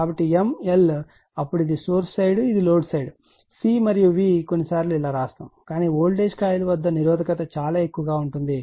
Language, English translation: Telugu, So, m l then this is your mean side this is your load side C and V sometimes you write like this , but at the resistance in very high